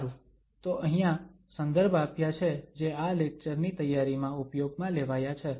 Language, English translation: Gujarati, Well, so there are the references we have used for preparing this lecture